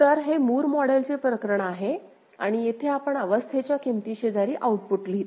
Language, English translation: Marathi, So, of course, it is a case of a Moore model right and here we write the output alongside the state value within the state ok